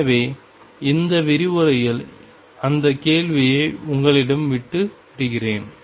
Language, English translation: Tamil, So, I will leave you with that question in this lecture